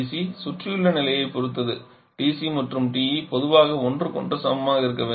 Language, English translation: Tamil, TC depends on the surrounding condition and TC and TE generally equal to each other